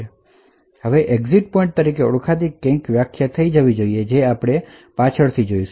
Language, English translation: Gujarati, It should also define something known as asynchronous exit pointer which we will actually see a bit later